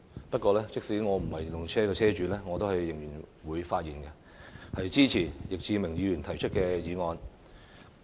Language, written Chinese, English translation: Cantonese, 不過，即使我不是電動車車主，我仍然會發言，支持易志明議員提出的議案。, Even though I am not an EV owner I will still speak to support the motion moved by Mr Frankie YICK